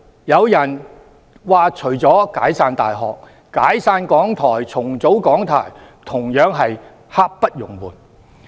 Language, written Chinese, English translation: Cantonese, 有人說除了"解散大學"，"解散港台"、"重組港台"同樣是刻不容緩。, It is said that apart from disbanding universities disbanding RTHK and reorganizing RTHK are also something needed to be dealt with urgently